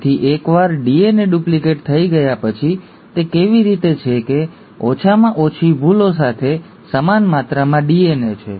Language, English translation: Gujarati, So once the DNA has been duplicated, how is it that the same amount of DNA with minimal errors